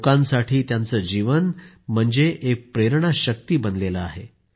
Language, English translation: Marathi, His life remains an inspirational force for the people